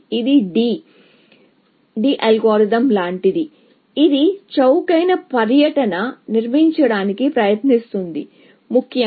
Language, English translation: Telugu, It is like a DD algorithm, which tries to build cheapest tour, essentially